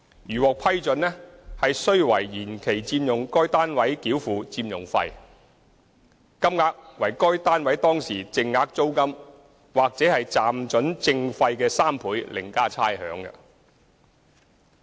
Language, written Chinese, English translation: Cantonese, 如獲批准，須為延期佔用該單位繳付佔用費，金額為該單位當時淨額租金或暫准證費的3倍另加差餉。, If the extension is approved they have to pay an occupation fee equal to three times the prevailing net rent or licence fee of the unit plus rates